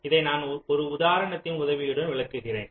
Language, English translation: Tamil, let me illustrate this with the help of an example